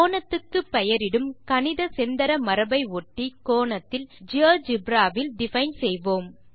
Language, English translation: Tamil, We will follow the standard angle naming convention when we define angles in geogebra as well